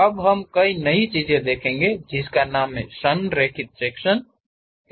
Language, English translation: Hindi, Now, we will look at a new thing named aligned section